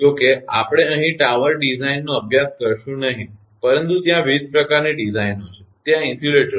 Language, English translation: Gujarati, Although we will not study tower design here, but different type of designs are there insulators are there